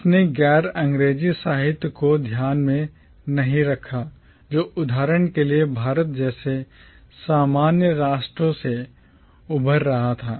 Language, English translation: Hindi, It did not take into account the non English literatures that was emerging from commonwealth nations like India for instance